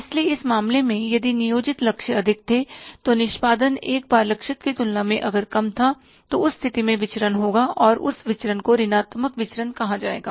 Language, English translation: Hindi, So, in this case, if the planned targets were high, execution was less than the targeted ones, in that, there will be variance and that variance will be called as a negative variance